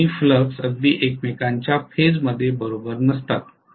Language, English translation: Marathi, The two fluxes are not exactly in phase with each other not at all